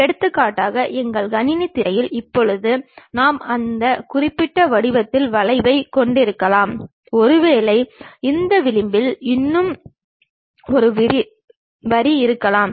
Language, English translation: Tamil, For example, on our computer screen right now we might be having a curve of that particular shape, and perhaps there is one more line on this edge